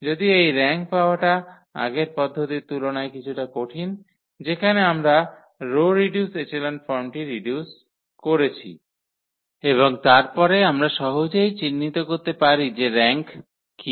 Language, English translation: Bengali, Though it is little bit difficult than the earlier process of getting the rank where we reduced to the row reduced echelon form and then we can easily identify what is the rank